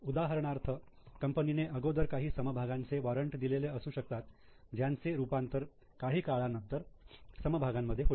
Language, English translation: Marathi, For example, there could be some share warrants issued which will get converted into shares at a latter date